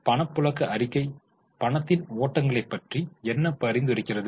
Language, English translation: Tamil, Cash flow statement as the name suggests talks about the flows of cash